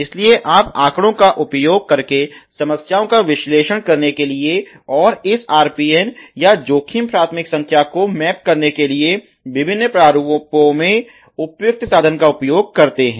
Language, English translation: Hindi, So, you appr appropriate tools to analyze the problems by making use of the data that has been, you know characterizing in the various formats to map this RPN or risk priority number